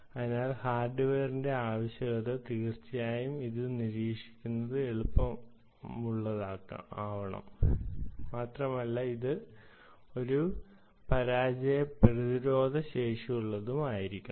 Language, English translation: Malayalam, this is the requirement of the hardware and it is easy to monitor, of course, and it should be a failure resistant and so on and so forth